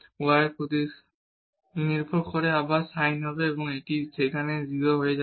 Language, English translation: Bengali, Partial derivative with respect to y will be again sin and this will become 0 there